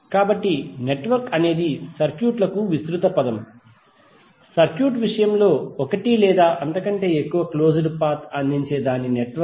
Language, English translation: Telugu, So network is the broader term for the circuits, while in case of circuit its network which providing one or more closed path